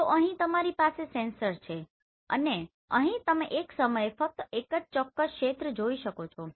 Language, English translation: Gujarati, So what happens here you have a sensor and here you can see only one particular area at a time